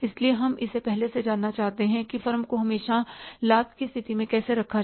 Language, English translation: Hindi, So, we want to know it in advance that how to put the firm always in the state of profit